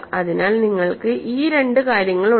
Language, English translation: Malayalam, So, you have these two things